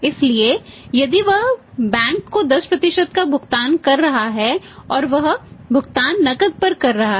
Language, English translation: Hindi, So, if he is earning 10% or he is paying 10% to the bank and he is making the payment to him on cash